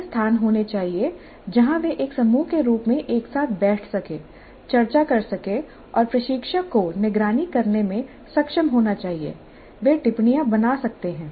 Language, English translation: Hindi, There must be places where they can sit together as a group discussed and the instructor must be able to monitor they can make notes